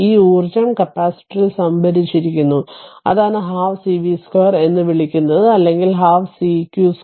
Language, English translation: Malayalam, This energy stored in the capacitor that that is your what you call half cv square or half c q square right